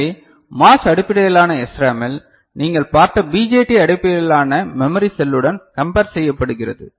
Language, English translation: Tamil, So, in MOS based SRAM it is compared to BJT based memory cell that you had seen ok